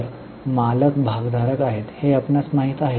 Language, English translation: Marathi, So, you know, the owners are shareholders